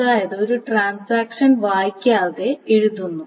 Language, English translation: Malayalam, So that means a transaction simply writes without reading